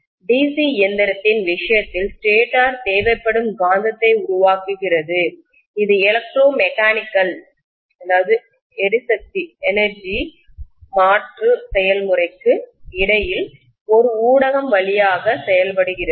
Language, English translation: Tamil, The stator in the case of DC machine produces the magnetism that is required which is acting like a via media between electromechanical energy conversion process, right